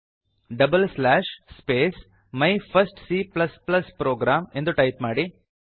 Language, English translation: Kannada, Type double slash // space My first C++ program